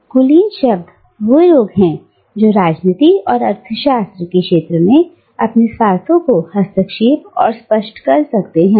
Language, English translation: Hindi, So, in other words, the elites are the people who can intervene and articulate their self interests within the field of politics and economics